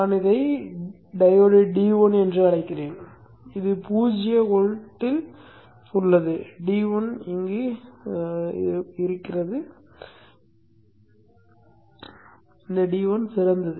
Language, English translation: Tamil, Let us say I call this diode D1 and this is at zero volt if D1 is ideal